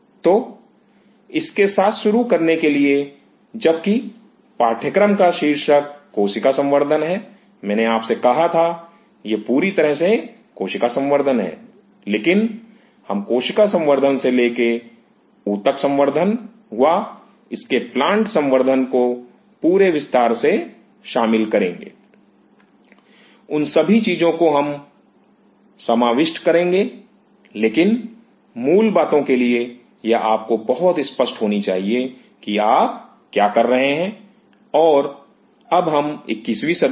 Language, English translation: Hindi, So, to start off with in order to since course title is cell culture, I told you; this is purely what is the cell culture, but we will be covering the whole spectrum from cell culture to tissue culture to its plant culture, all those things we will be covering, but for the basics, it should be very clear to you; what you are doing and now we are into 21st century